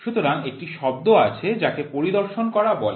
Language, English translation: Bengali, So, there is a word called as inspection